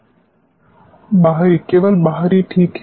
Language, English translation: Hindi, External, only external alright